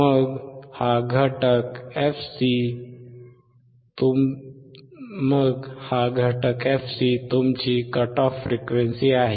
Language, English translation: Marathi, Then this component fc is your cut off frequency in hertz